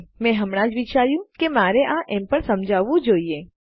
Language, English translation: Gujarati, I just thought I should explain this anyways